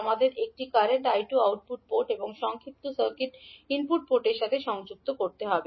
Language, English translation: Bengali, We have to connect a current source I2 to the output port and short circuit the input port